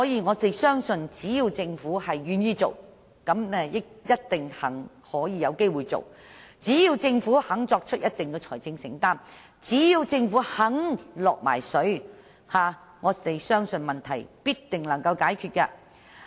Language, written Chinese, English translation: Cantonese, 我們相信，只要政府願意做，便有機會做到；只要政府肯作出一定的財政承擔，只要政府肯"落水"，問題必定能夠解決。, We believe that as long as the Government has the will there is a chance of success . So long as the Government is willing to do its part and make a certain financial commitment the matter will definitely be resolved